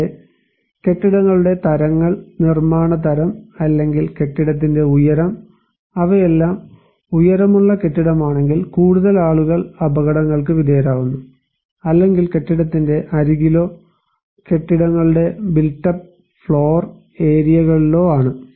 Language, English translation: Malayalam, Also, the types of buildings; the type of constructions or building height, if they are all taller building more people are exposed to hazards or in a building edge or built up floor areas of the buildings